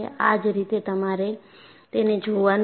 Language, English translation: Gujarati, This is the way you have to look at it